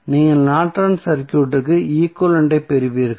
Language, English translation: Tamil, So, you get the Norton's equivalent of the circuit